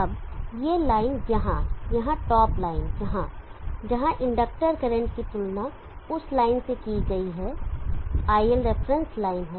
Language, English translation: Hindi, Now this line here this top line here where the inductor current is comparing with that line is the higher reference line